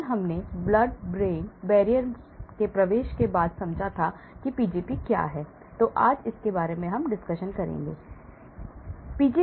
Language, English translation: Hindi, Yesterday, after blood brain barrier penetration, I introduced what is Pgp, we will spend more time on this Pgp